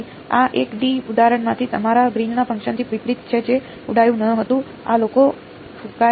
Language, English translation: Gujarati, So, this is unlike your Green’s function from the 1 D example which did not blow up, this guys blowing up